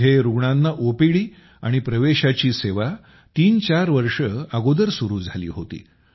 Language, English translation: Marathi, OPD and admission services for the patients started here threefour years ago